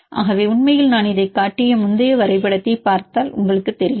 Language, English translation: Tamil, So, for actual if you see this graph that I showed this earlier